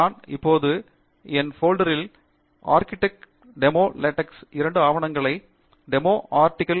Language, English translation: Tamil, I have now in my folder, ArticleDemoLaTeX, two documents DemoArticle